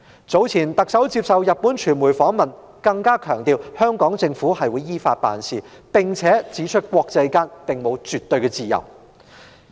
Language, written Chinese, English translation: Cantonese, 早前特首接受日本傳媒訪問時，更強調香港政府會依法辦事，並且指出國際間沒有絕對的自由。, When the Chief Executive was interviewed by the Japanese media earlier she emphasized that the Hong Kong Government would act in accordance with the law and pointed out that there was no absolute freedom in the international arena